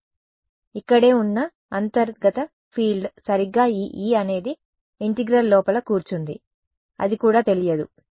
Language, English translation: Telugu, U : the internal field over here right this E which is sitting inside the integral that is also unknown